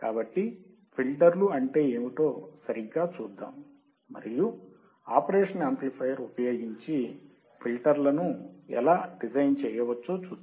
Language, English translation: Telugu, So, let us see what exactly filters are and how can we design the filters using the operational amplifier